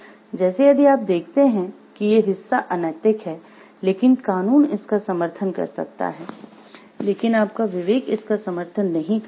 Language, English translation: Hindi, Like, if you see these part is unethical, but legal law may support it, but your conscience may not support it